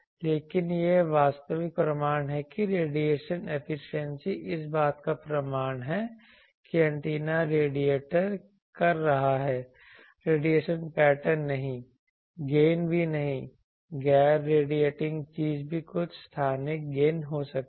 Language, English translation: Hindi, But this is a actual proof that radiation efficiency is the proof whether antenna is radiating, not the radiation pattern not even the gain a non radiating thing also may have some spatiall gain